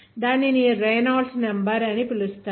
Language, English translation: Telugu, That is called the Reynolds number